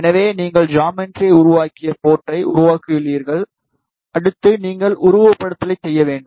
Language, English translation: Tamil, So, you have made the port you have made the geometry, next you need to do the simulation